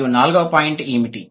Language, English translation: Telugu, And what is the fourth point